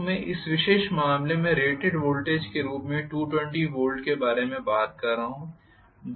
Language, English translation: Hindi, So I am talking about 220 volts as the rated voltage in this particular case